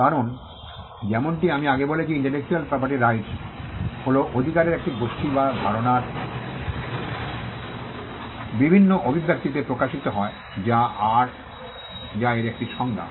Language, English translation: Bengali, Because, as I said earlier intellectual property rights are a group of rights which manifest on different expressions of ideas that is one definition of it